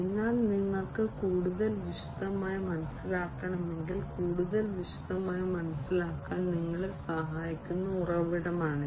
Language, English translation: Malayalam, But if you need to understand in further more detail this is the source that can help you to understand in further more detail